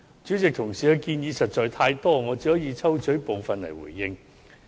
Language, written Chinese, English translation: Cantonese, 主席，同事的建議實在太多，我只可抽取部分來回應。, President as Members have honestly put forth too many proposals I can only give a reply on some of them